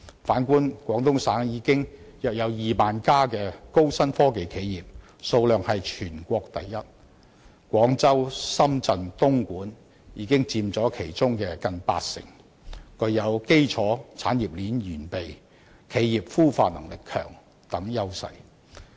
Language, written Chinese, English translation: Cantonese, 反觀廣東省現有約2萬家高新科技企業，數量是全國第一，廣州、深圳、東莞已佔其中近八成，具有基礎產業鏈完備、企業孵化能力強等優勢。, In contrast with the setting up of about 20 000 high - tech enterprises Guangdong is now the province with the largest number of such enterprises in the whole country and nearly 80 % of them are located in Guangzhou Shenzhen and Dongguan